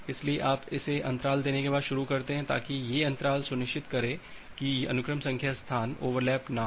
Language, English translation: Hindi, So, you start it after giving a gap, so that these gap will ensure that the sequence number space do not overlap